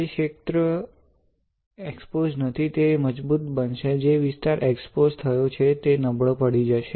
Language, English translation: Gujarati, The area which is not exposed will become stronger; the area which is exposed will become weaker